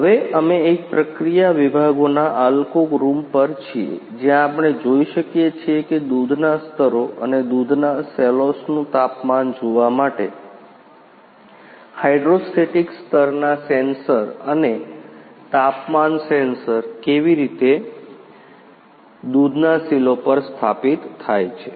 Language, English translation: Gujarati, Now, we are at Alco rooms of a process sections, where we can see the how the hydrostatic level sensors and temperatures sensors are installed on milk silo to see the level of milk and temperatures of milk silos